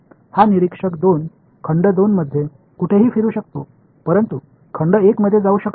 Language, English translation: Marathi, This guy observer 2 can walk around anywhere in volume 2, but cannot walk into volume 1